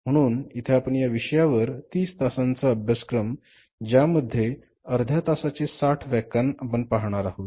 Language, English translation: Marathi, This course is 30 hours course and we will have 60 lectures of the half in our each